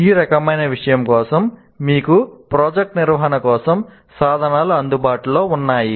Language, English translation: Telugu, For this kind of thing, you have tools available for project management